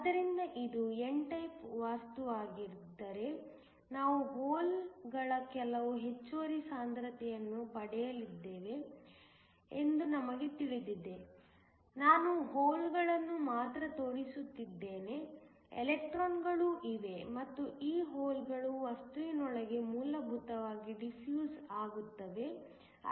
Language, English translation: Kannada, So if this is an n type material, we know that we are going to get some excess concentration of holes, I am only showing the holes there are also electrons and these holes will essentially defuse within the material